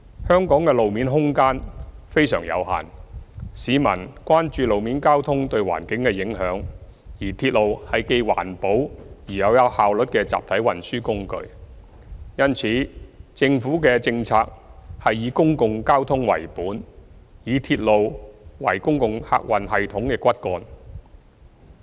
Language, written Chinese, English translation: Cantonese, 香港的路面空間非常有限，市民亦關注路面交通對環境的影響，而鐵路是既環保又有效率的集體運輸工具，因此政府的政策是以公共交通為本，以鐵路為公共客運系統的骨幹。, Road space is very limited in Hong Kong and the public are concerned about the environmental impact of road traffic . In contrast railway is an environmentally friendly and efficient mass transit means . Therefore the Government pursues a public transport - oriented policy using railway as the backbone of the public passenger transport system